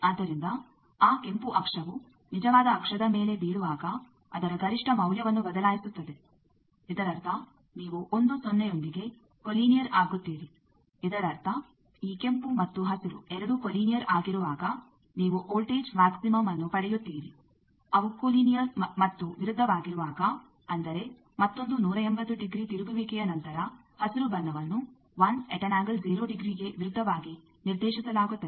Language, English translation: Kannada, So, that is changing the maximum value of that when that red thing will fall on the real axis; that means, you will be collinear with 1 0; that means, when both these red and green they are collinear you will get a voltage maxima, when they are collinear, but opposite; that means, the after another 180 degree rotation the green one will be oppositely directed to 1 angle 0